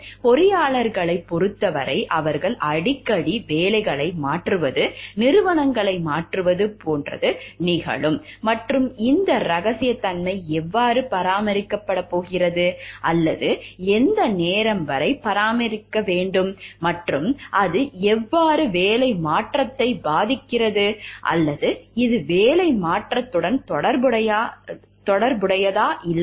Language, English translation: Tamil, For engineers it is very frequent like they are changing jobs, organisations very often and how does then this confidentiality be maintained, or till what time it should be maintained, and how does it, and how does it affect the changing of job or is it related to the changing of jobs or not